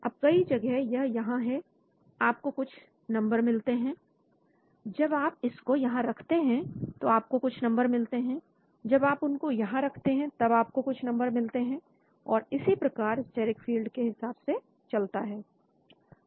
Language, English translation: Hindi, Then, at many places it is here, you get some number, when you place it here you will get some number, when you place it here you get some number and so on, with respect to steric field